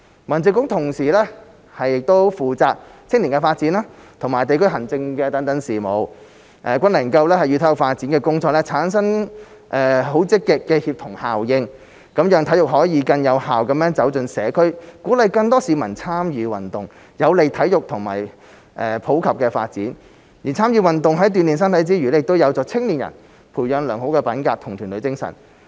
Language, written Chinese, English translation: Cantonese, 民政局同時負責青年發展和地區行政事務，均能夠與體育發展的工作產生積極協同效應，讓體育可以更有效地走進社區，鼓勵更多市民參與運動，有利體育的普及發展；而參與運動在鍛鍊身體之餘，亦有助青年人培養良好品格和團隊精神。, HAB is also responsible for youth development and district administrative affairs which can actively create synergy with our work on sports development . As a result sports can be effectively promoted in the community and more people are encouraged to participate in sports which will facilitate the development of sports in the community . Apart from physical training participation in sports can help young people develop good character and team spirit